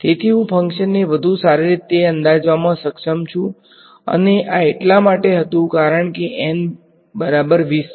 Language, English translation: Gujarati, So, I am able to approximate the function better and this was so N is equal to twenty